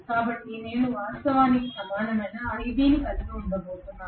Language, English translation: Telugu, So I am going to have actually ib similar to this